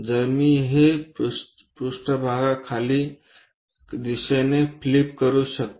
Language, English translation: Marathi, So, that I can flip this page all the way downward direction